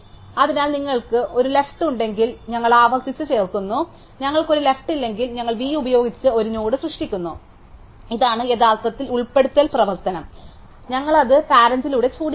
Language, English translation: Malayalam, So, if you do have a left we recursively insert, if we do not have a left then we create a node with v, this is the actually insert operation and we make it point to us through its parent